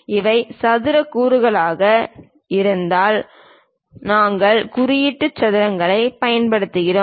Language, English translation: Tamil, If these are square components we use symbol squares